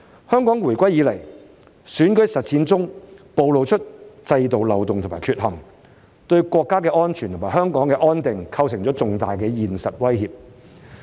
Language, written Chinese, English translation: Cantonese, 香港回歸以來，選舉實踐中暴露了制度漏洞和缺陷，對國家安全和香港安定構成了重大現實威脅。, Elections implemented in Hong Kong since the handover have exposed the loopholes and deficiencies of the system posting a major and real threat to national security and the stability of Hong Kong